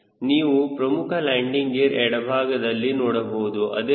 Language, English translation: Kannada, you can see this is the main landing gear of the left side